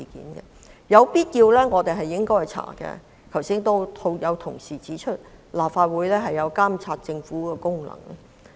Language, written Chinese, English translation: Cantonese, 我們在必要時應進行調查，因為正如剛才有同事指出，立法會有監察政府的職能。, We should conduct an inquiry when necessary because as pointed out by an Honourable colleague earlier on the Legislative Council has the function of monitoring the Government